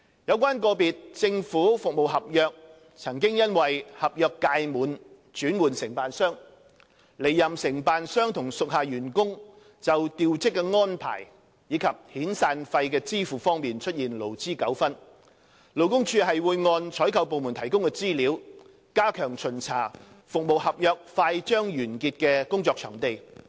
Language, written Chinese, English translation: Cantonese, 有關個別政府服務合約曾因合約屆滿而轉換承辦商，離任承辦商與屬下員工就調職安排及支付遣散費方面出現勞資糾紛，勞工處會按採購部門提供的資料，加強巡查服務合約快將完結的工作場地。, With regard to the labour disputes between the outgoing contractor and their employees over transfer of posting and severance payment which arose from a change of contractors upon expiry of individual government service contracts LD will refer to the information provided by the procuring departments and step up inspection of workplaces under service contracts that will soon expire